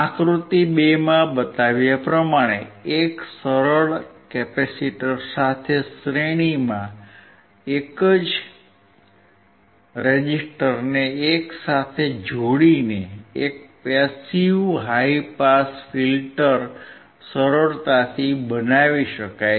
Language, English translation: Gujarati, A simple passive high pass filter can be easily made by connecting together in series a single resistor with a single capacitor as shown in figure 2